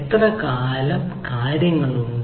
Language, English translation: Malayalam, how long duration things are there